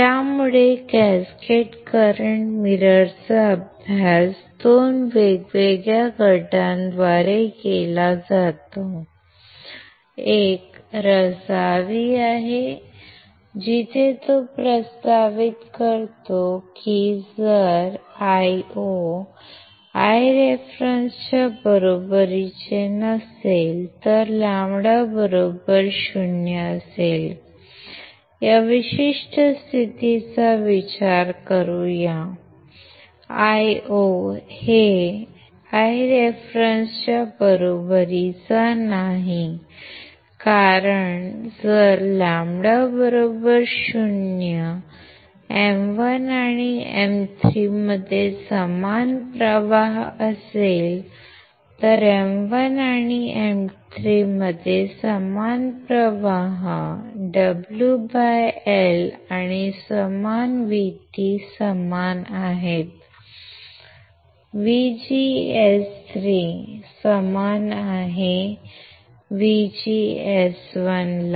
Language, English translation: Marathi, So, cascaded current mirror were studied by 2 different groups, one is Razavi where he proposes that, if Io is not equals to I reference if lambda equals to 0, let us consider this particular condition Io is not equals to I reference, because if lambda equals to 0, that is same current flows in M 1 and M 3, same current flows in M 1 and M 3, assuming W by L and V T are same VGS 3, equals to VGS 1 correct, what it says